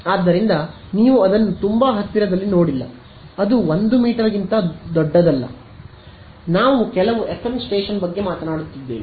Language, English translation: Kannada, So, you guys have not seen it very close right it is not bigger than 1 meter right, we I am not talking about some FM station or something